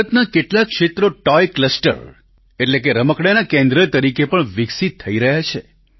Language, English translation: Gujarati, Some parts of India are developing also as Toy clusters, that is, as centres of toys